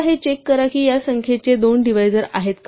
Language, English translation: Marathi, So, we check whether two is a divisor of this number